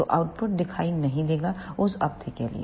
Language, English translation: Hindi, So, the output will not appear for that duration